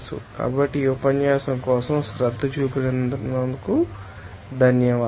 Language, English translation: Telugu, So, thank you for giving attention for this lecture